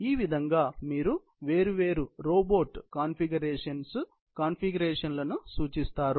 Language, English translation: Telugu, So, that is how you represent different robotic configurations